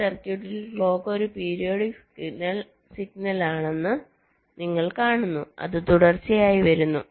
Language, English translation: Malayalam, in this circuit, you see, clock is a periodic signal